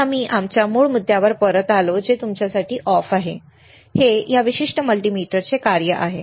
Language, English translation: Marathi, And we come back to our original point which is your off this is the function of this particular multimeter